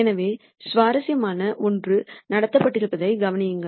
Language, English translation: Tamil, So, notice that something interesting has happened